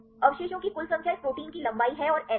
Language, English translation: Hindi, A total number of residues there is the length of this protein and the N